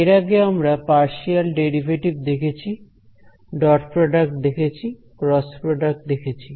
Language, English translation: Bengali, We have so far looked at partial derivatives, we have looked at looked at dot product, we looked at cross product